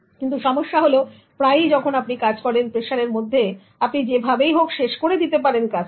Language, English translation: Bengali, But the problem is often when you work under pressure you somehow finish the the job